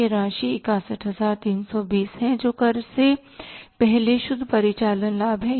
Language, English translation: Hindi, This amount is 6132 is the net operating profit before tax